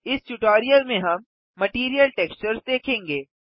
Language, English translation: Hindi, We shall see Material textures in this tutorial